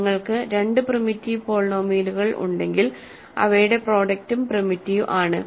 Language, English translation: Malayalam, So, if you have two primitive polynomials, their product is also primitive